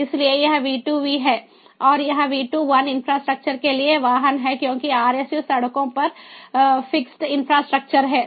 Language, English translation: Hindi, so this is v to v and this is v to i, vehicle to infras[tructure] because rsus are fixed infrastructure on the road sides